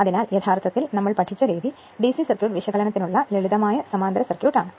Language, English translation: Malayalam, So, the way you have studied, your simple parallel circuit for DC circuit analysis